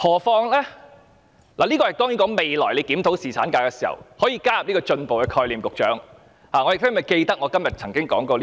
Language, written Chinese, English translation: Cantonese, 當然，這便是在未來檢討侍產假時可以加入的一個進步概念，我希望局長會記得我今天曾經提出這一點。, Of course this is a progressive idea which can be incorporated into the future review of paternity leave and I hope the Secretary will remember the idea that I raise today